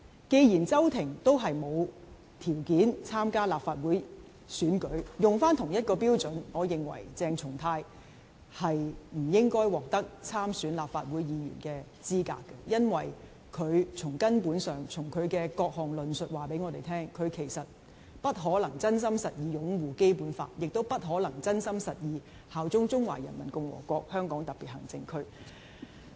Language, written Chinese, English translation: Cantonese, 既然周庭也沒有條件參加立法會選舉，沿用同一個標準，我認為鄭松泰不應該獲得參選立法會的資格，因為從根本上，其各項論述也告訴我們，他不可能真心實意擁護《基本法》，亦不可能真心實意效忠中華人民共和國香港特別行政區。, Given that Agnes CHOW did not qualify for standing in the Legislative Council Election judging by the same standard I hold that CHENG Chung - tai should not qualify for standing in the Legislative Council Election . It is because essentially his various arguments serve to demonstrate to us that he cannot possibly sincerely and genuinely uphold the Basic Law neither can he sincerely and genuinely swear allegiance to HKSAR of the Peoples Republic of China